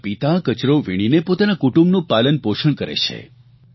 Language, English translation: Gujarati, His father earns his daily bread by wastepicking